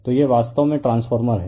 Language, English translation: Hindi, So, this is actually what you have the transformer right